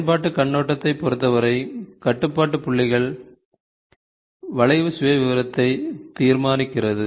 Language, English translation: Tamil, So, what did as per as application point of view is concerned, the control points decides the curve profile